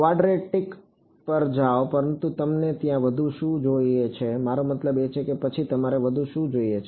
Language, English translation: Gujarati, Go to quadratic, but what you need more there I mean what more do you need then